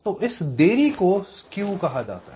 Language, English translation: Hindi, this is what is called skew